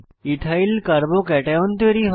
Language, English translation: Bengali, Ethyl Carbo cation(CH3 CH2^+) is formed